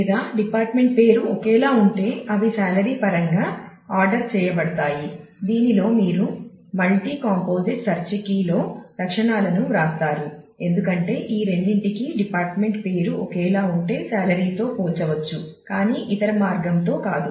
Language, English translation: Telugu, Or if the department name is same then they are ordered in terms of salary this ordering in which you write the attributes in the multi composite search key is very important because you can see that for the two if the department name is same then the salary will be compared, but not the other way around